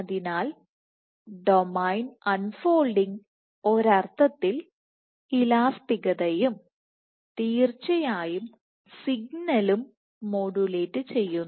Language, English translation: Malayalam, So, domain unfolding, in a sense what it is modulates and elasticity and of course, the signaling